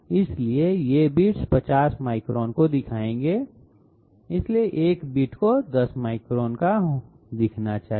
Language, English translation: Hindi, Hence, these bits would represent 50 microns so one which should represent 10 microns